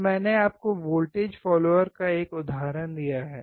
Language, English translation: Hindi, So, I have given you an example of voltage follower